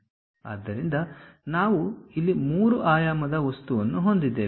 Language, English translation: Kannada, So, we have a three dimensional object here